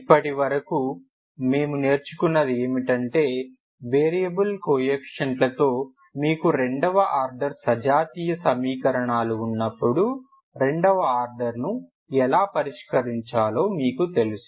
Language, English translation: Telugu, So this is, so far what we have learned is you know how to solve second order when you have a second order homogenous equations with variable coefficients